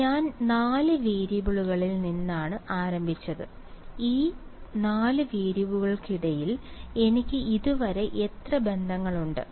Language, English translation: Malayalam, So, I started with 4 variables and how many relations do I have between these 4 variables so far